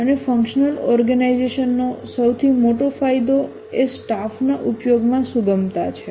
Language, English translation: Gujarati, And one of the biggest advantage of the functional organization is the flexibility in use of the staff